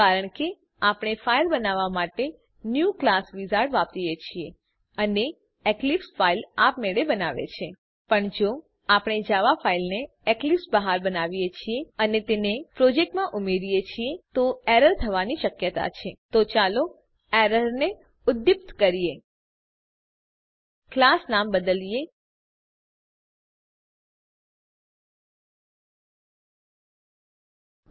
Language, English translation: Gujarati, This is because we use the New Class wizard to create a file and eclipse creates a file automatically But if we create a Java file outside of Eclipse and add it to a project, their is the chance of the error So let us stimulate the error , by changing the class name